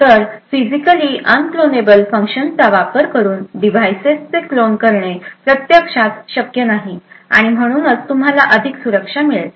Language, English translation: Marathi, So, using Physically Unclonable Functions, it is not possible to actually clone a device and therefore, you get much better security